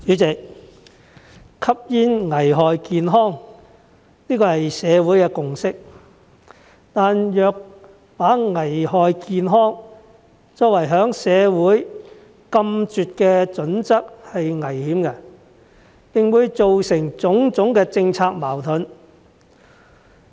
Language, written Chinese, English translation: Cantonese, 主席，吸煙危害健康，這是社會的共識，但若把危害健康作為在社會禁絕的準則是危險的，並會做成種種的政策矛盾。, President it is a consensus in society that smoking is hazardous to health . However it is dangerous to make hazardous to health a criterion for imposing a ban in society and this will lead to various policy conflicts